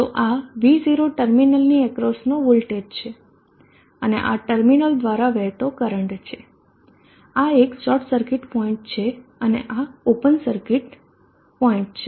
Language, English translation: Gujarati, So this is the V0 the voltage across the terminal and this is the current through the system you know this is a short circuit point and this open circuit point